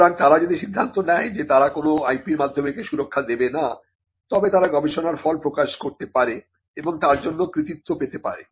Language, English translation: Bengali, So, if they take a call that they will not protect it by way of an IP, then they can publish the result research results and get the credit for the same